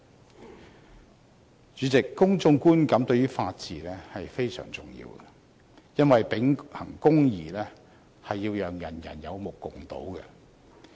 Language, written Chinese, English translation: Cantonese, 代理主席，公眾觀感對於法治非常重要，因為秉行公義是要讓人有目共睹。, Deputy President public perception is important to upholding the rule of law as justice must be seen to be done